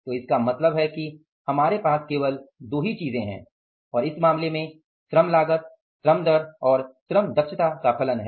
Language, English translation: Hindi, So, it means we have only two things and in the labor in this case, labor cost is the function of labor rate and the labor efficiency